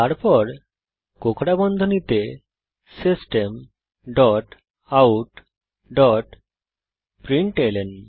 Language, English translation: Bengali, Then Within curly brackets System dot out dot println